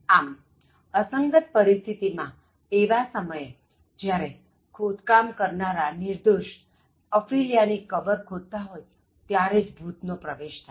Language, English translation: Gujarati, So, even in incongruous situations like the time and the ghost appears or when the grave diggers dig the grave for the innocent Ophelia